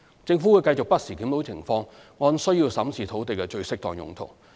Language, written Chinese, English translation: Cantonese, 政府會繼續不時檢討情況，按需要審視土地的最適當用途。, The Government will continue to keep the situation under review to determine the most suitable use of sites on a need basis